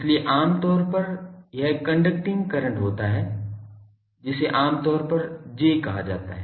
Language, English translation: Hindi, So, this is generally the conducting current that generally call J